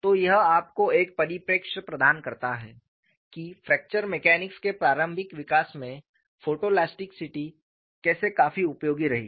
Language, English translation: Hindi, So, that provides you a perspective, how photo elasticity has been quite useful in the early development of fracture mechanics